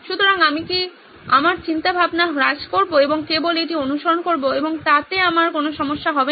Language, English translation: Bengali, So, should I tone down my thinking and just follow this and I should be okay